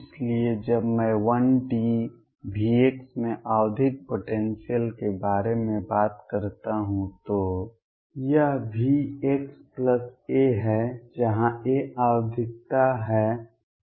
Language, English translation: Hindi, So, when I talk about a periodic potential in 1D V x this is V x plus a, where a is the periodicity